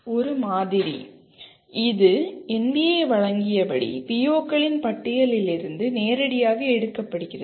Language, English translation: Tamil, One sample, this is directly taken from the list of POs as given by NBA